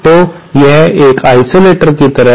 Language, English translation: Hindi, So, this is like an isolator